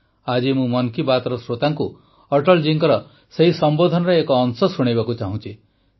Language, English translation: Odia, Today I want to play an excerpt of Atal ji's address for the listeners of 'Mann Ki Baat'